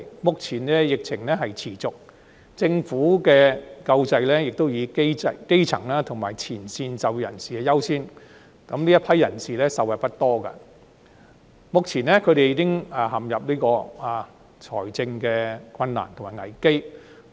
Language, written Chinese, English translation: Cantonese, 目前疫情持續，政府的救濟亦以基層及前線就業人士優先，故此這一批自僱人士受惠不多，他們目前已陷入財政困難及危機。, As the pandemic persists the Government has given priority to the grass roots and frontline employees so this group of self - employed people are not much benefited and have now been plunged into financial difficulties and crisis